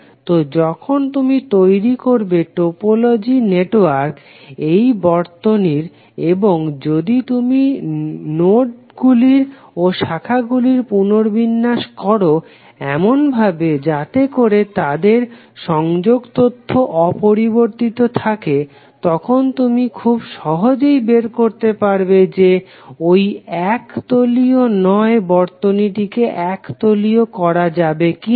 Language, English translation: Bengali, So when you create the topological network of this circuit and if you rearrange the nodes and branches in such a way that their connectivity information is not changed then you can easily find out whether that particular non planar circuit can be converted into planar circuit or not